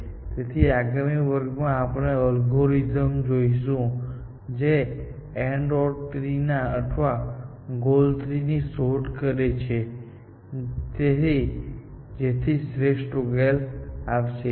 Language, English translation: Gujarati, the next class we will look at an algorithm, which explores an AND OR tree or a goal tree, to find an optimal solution, essentially